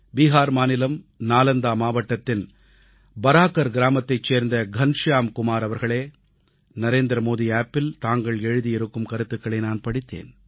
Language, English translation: Tamil, Shriman Ghanshyam Kumar ji of Village Baraakar, District Nalanda, Bihar I read your comments written on the Narendra Modi App